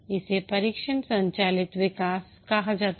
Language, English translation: Hindi, This is called as test driven development